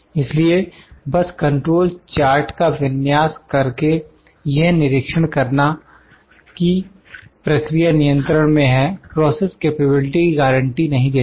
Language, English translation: Hindi, So, simply setting up control charts to monitor whether a process is in control does not guarantee process capability